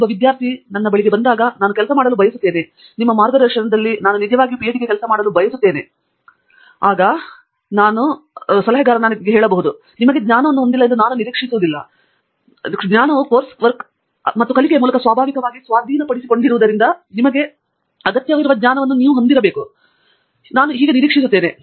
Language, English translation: Kannada, When a student comes to me and says, well, I want to work, I want to really work towards a PhD under your guidance, I say that I don’t expect you to have knowledge, going back to the question, I don’t expect you to have the requisite knowledge at all because knowledge is typically acquired through course work and learning